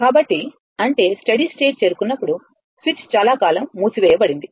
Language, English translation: Telugu, So, that means, at steady state it is reached , switch was closed for long time